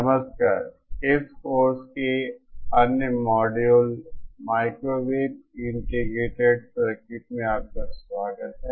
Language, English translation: Hindi, Hello, welcome to another module of this course Microwave Integrated Circuit